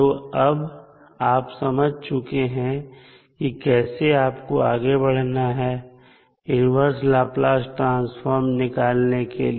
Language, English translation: Hindi, So, now you can easily understand that how you can proceed with finding out the inverse Laplace transform